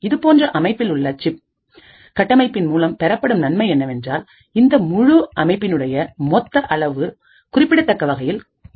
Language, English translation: Tamil, Now the advantage of having such a System on Chip architecture is that a size of your complete design is reduced considerably